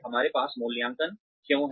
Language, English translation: Hindi, Why do we have appraisals